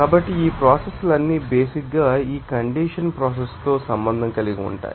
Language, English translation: Telugu, So, all those processes are basically involved with this condensation process